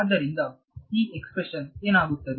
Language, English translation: Kannada, So, what happens to this expression